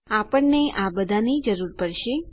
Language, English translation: Gujarati, We are going to require all of these